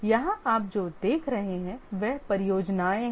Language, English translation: Hindi, Here what you see is the projects